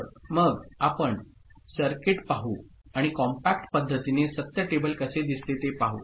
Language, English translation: Marathi, So, let us see the circuit and how the truth table looks like in a compact manner